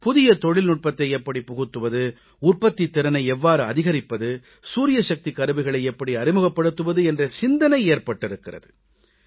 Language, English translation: Tamil, How do we bring in new technology, how do we increase productivity, how do we introduce looms driven by solar power